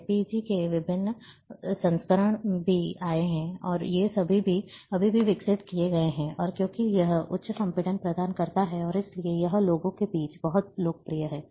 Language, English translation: Hindi, Different versions of JPEG have also come, and these still are been developed, and because it provides high compression and therefore, it is very, very popular among people